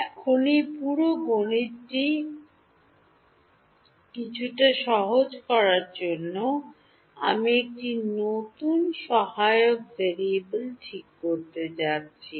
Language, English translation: Bengali, Now, to make this whole math a little bit easier, I am going to define a new auxiliary variable ok